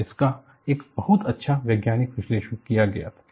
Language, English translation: Hindi, And, this was done a very nice scientific analysis